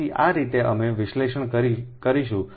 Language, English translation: Gujarati, so this way we will analyse